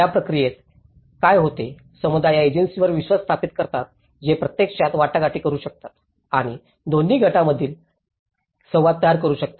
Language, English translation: Marathi, In that process, what happens is communities establish a trust on these agencies which can actually negotiate and may create an interface between both the groups